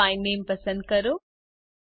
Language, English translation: Gujarati, Select Sort By Name